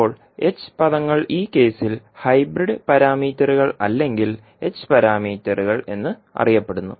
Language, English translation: Malayalam, Now h terms are known as the hybrid parameters or h parameters in this case